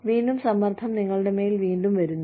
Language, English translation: Malayalam, Again, pressure comes back on you